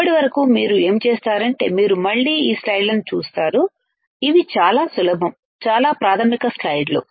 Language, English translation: Telugu, Till then what you do is you again see this slides these are very easy, very, very basic slides